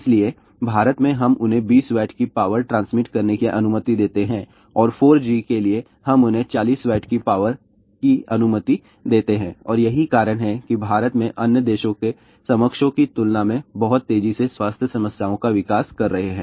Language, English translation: Hindi, So, in India we allow them to transmit 20 Watt of power and for 4G, we allow them 40 Watt of power and that is why people in India are developing health problems at a much faster rate than the counterparts in the other countries